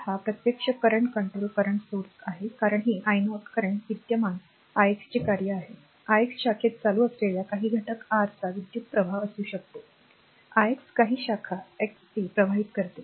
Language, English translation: Marathi, So, this is actually current controlled current source because this i 0 the current is function of the current i x, i x may be the current of some element your in the your branch size current i x flowing some branch x a